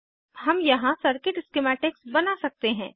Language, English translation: Hindi, We will create circuit schematics here